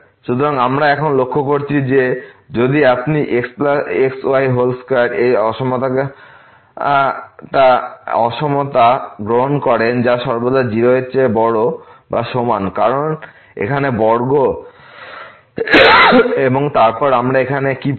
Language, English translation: Bengali, So, we notice here now that if you take this inequality minus whole square which is always greater than or equal to 0 because of the square here and then what do we get here